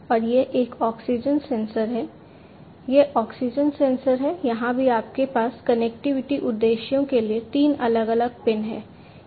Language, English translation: Hindi, And this one is an oxygen sensor, this is the oxygen sensor, here also you have three different pins for connectivity purposes